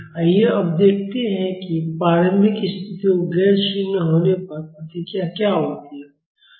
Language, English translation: Hindi, Now let us see the response when the initial conditions are non zero